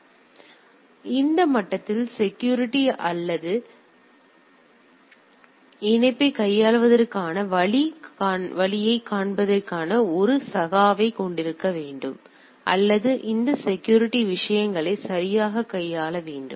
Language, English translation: Tamil, So, the security at that level should have a also a peer to peer way of handling that or connectivity or handling those security things that has to be there right